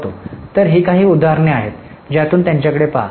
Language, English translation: Marathi, So, these are a few of the examples